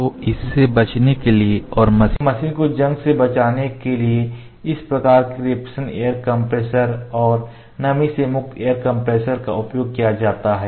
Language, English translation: Hindi, So, to save that and also to save the machine from being corroded this kind of refrigeration air compressor and moisture free air compressor is used this is the control valve